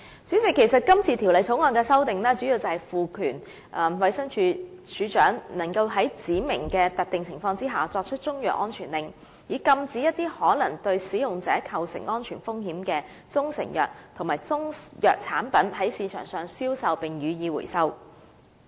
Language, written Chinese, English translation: Cantonese, 主席，今次《條例草案》的修訂，主要是賦權衞生署署長在指明的特定情況下作出中藥安全令，以禁止一些可能對使用者構成安全風險的中成藥及中藥產品在市場上銷售，並予以收回。, President the amendments in the Bill mainly seek to empower the Director to make a CMSO in specific circumstances to prohibit the sale of proprietary Chinese medicines and Chinese medicine products that may pose risks to users and make recalls